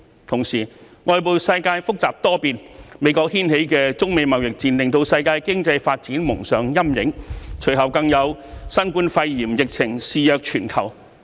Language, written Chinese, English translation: Cantonese, 同時，外部世界複雜多變，美國掀起的中美貿易戰令世界經濟蒙上陰影，隨後更有新冠肺炎疫情肆虐全球。, Shortly after the global economic prospects were clouded by the trade war between China and the United States which was started by the latter the whole world was under attack by COVID - 19